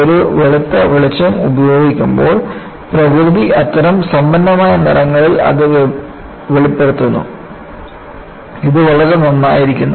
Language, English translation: Malayalam, When a white light is used, the nature reveals it in such rich colors;so nice